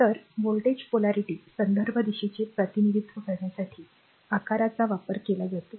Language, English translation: Marathi, So, size are used to represent the reference direction of voltage polarity